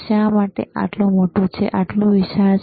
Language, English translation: Gujarati, Why its its so big, why so bulky, right